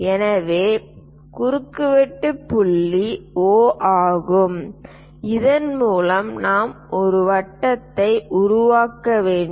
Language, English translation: Tamil, So, intersection point is O through which we have to construct a circle